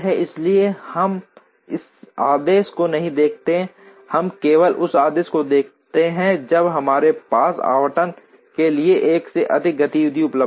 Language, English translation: Hindi, So, we do not look at this order, we look at this order only when we have more than 1 activity available for allocation